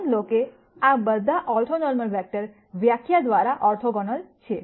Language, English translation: Gujarati, Notice that all orthonormal vectors are orthogonal by definition